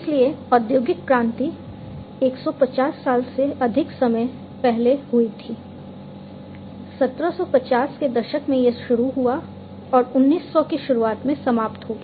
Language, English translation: Hindi, So, the industrial revolution happened more than 150 years back, in the 1970s it started, and ended in the early 1900